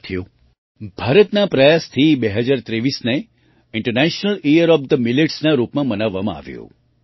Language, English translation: Gujarati, Friends, through India's efforts, 2023 was celebrated as International Year of Millets